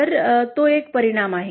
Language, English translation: Marathi, So that is one effect